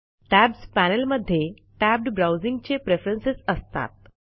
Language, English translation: Marathi, The Tabs panel contains preferences related to the tabbed browsing feature